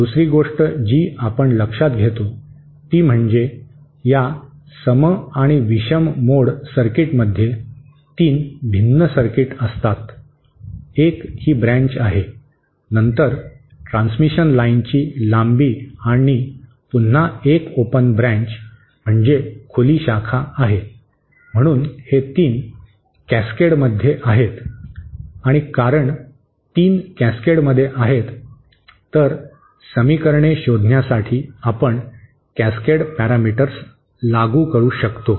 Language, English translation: Marathi, The other thing that we note is that these even and odd mode circuits consist of 3 different circuits, one is this branch, then the length of the transmission line and again an open branch, so these 3 are in cascade and because the 3 are in cascade, we can apply the cascade parameters to find out the equations